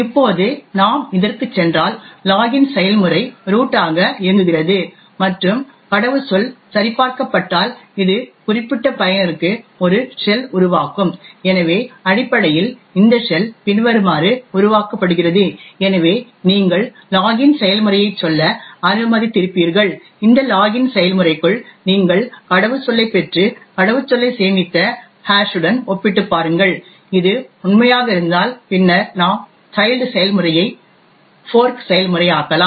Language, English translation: Tamil, Now if we go back to this what you see is that the login process executes as root and was the password is verified it will then create a shell for that particular user, so essentially this shell is created something as follows, so you would have let us say the login process and within this login process you obtain the password and compare the password with the stored hash and if this is true, then we fork a process, the child process